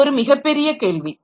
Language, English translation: Tamil, So, it's a big question